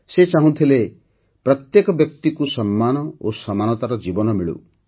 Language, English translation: Odia, He wanted that every person should be entitled to a life of dignity and equality